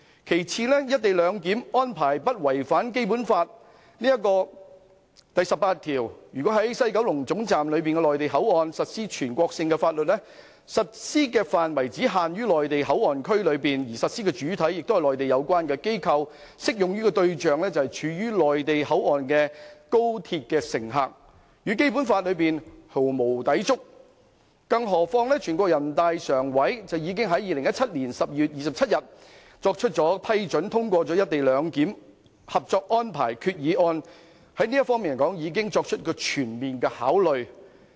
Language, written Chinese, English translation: Cantonese, 其次，"一地兩檢"的安排並無違反《基本法》第十八條，因為在西九龍總站的內地口岸區實施的全國性法律，實施範圍只限於內地口岸區內，而實施主體是內地有關機構，適用對象則是處於內地口岸區的高鐵乘客，與《基本法》毫無抵觸，更何況人大常委會已在2017年12月27日批准通過"一地兩檢"《合作安排》決議案，在這方面已作出全面考慮。, Second the co - location arrangement does not contravene Article 18 of the Basic Law because insofar as the application of national laws in MPA of the West Kowloon Terminus is concerned the scope of application is only confined to MPA . They are implemented by the relevant Mainland authorities and they are mainly applicable to high - speed rail passengers present in MPA which in no way contravene the Basic Law not to mention the fact that NPCSC approved the resolution to implement the co - location arrangement under the Co - operation Arrangement on 27 December 2017 having given thorough consideration to this aspect